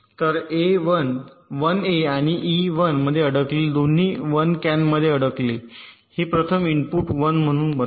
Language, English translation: Marathi, so both a stuck at one and e stuck at one can make this first input as one